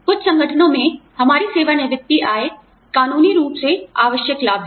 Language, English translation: Hindi, Our retirement income is a legally required benefit, in some organizations